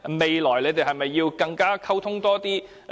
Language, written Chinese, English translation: Cantonese, 未來兩方是否更要多作溝通？, Should the two sides enhance their future communications?